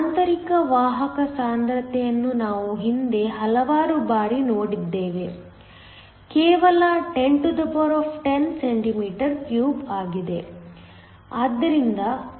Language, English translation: Kannada, The intrinsic carrier concentration we have seen this so many times in the past; is just 1010 cm 3